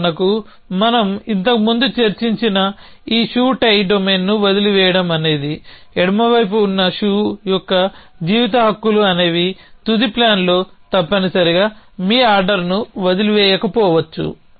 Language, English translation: Telugu, For example, this shoe tie domain that we discuss earlier to were lefts out were life rights of were left shoe were right shoe there the final plan may not have a leave your order essentially